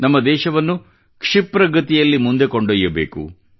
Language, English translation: Kannada, We have to take our country forward at a faster pace